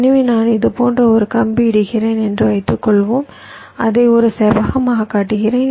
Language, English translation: Tamil, so suppose i am laying a wire like this, i am showing it as a rectangle, so as an alternative, i could have made it wider